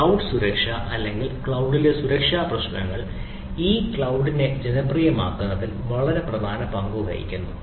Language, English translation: Malayalam, this cloud security, or the security issues in cloud, plays a extremely vital role in making this cloud computing popular